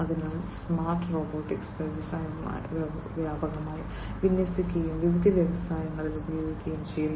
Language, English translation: Malayalam, So, smart robotics is widely deployed and used in different industries